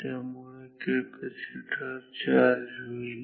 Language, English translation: Marathi, So, the capacitor will charge